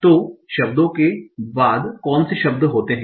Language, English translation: Hindi, So how are the words being arranged together